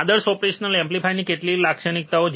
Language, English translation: Gujarati, A few of the characteristics of an ideal operational amplifier